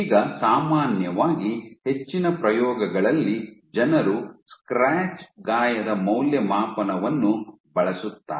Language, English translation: Kannada, Now, typically in most experiments people use the scratch wound assay